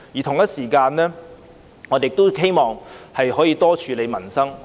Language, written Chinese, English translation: Cantonese, 同時，我亦希望能夠多處理民生問題。, Meanwhile I also wish that more efforts can be put into livelihood issues